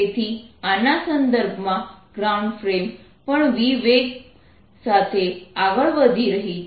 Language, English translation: Gujarati, so, with respect to the is ground frame, is frame is moving with velocity v